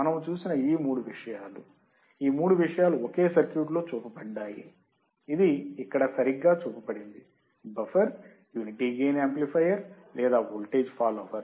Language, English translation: Telugu, These three things we have seen, all three things is same circuit which is right shown here, buffer, unity gain amplifier or voltage follower